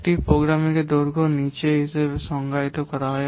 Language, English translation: Bengali, The length of a program is defined as follows